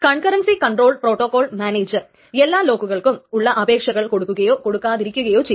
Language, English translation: Malayalam, And what the concurrency control protocol manager will do is that it either honors all the lock requests together or it doesn't honor anything